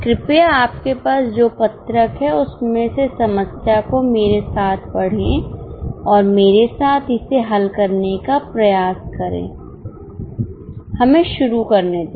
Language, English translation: Hindi, Please take the sheet which you have, read the problem with me and try to solve it along with me